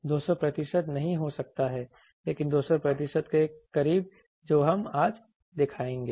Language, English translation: Hindi, May not be 200 percent, but very close to 200 percent that we will show today